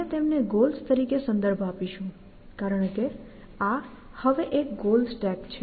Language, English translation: Gujarati, We will refer to them also, as goals, because this is a goal stack now, essentially